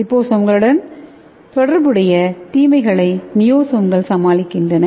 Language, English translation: Tamil, So here the niosomes overcome the disadvantages associated with the liposomes